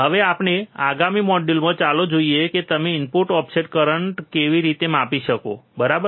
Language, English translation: Gujarati, So now, in the next module, let us see how you can measure the input offset current, alright